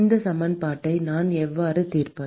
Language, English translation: Tamil, How do I solve this equation